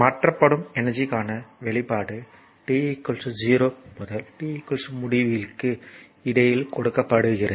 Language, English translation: Tamil, So, expression for energy transferred is given by it is given in between time t is equal to 0 to t is equal to infinity